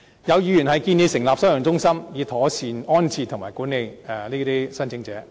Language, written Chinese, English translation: Cantonese, 有議員建議成立收容中心，以妥善安置和管理這些聲請者。, Some Members suggest setting up detention centres to properly accommodate and manage such claimants